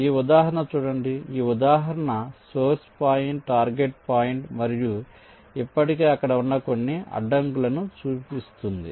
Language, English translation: Telugu, this example shows ah, source point, ah target point and some obstacles already there